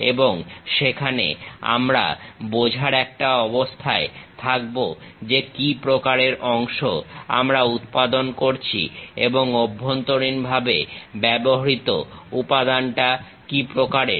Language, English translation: Bengali, And, there we will be in a position to really understand what kind of part we are manufacturing and what kind of material has been used internally